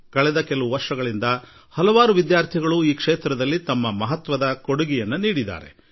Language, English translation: Kannada, For the past many years, several students have made their contributions to this project